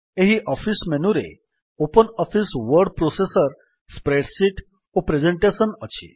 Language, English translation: Odia, Then, further in this office menu we have OpenOffice Word Processor, Spreadsheet and Presentation